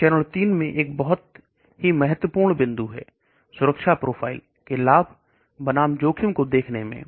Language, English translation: Hindi, That is a very, very important point in phase 3 the safety profiles, look at the benefit of the versus risk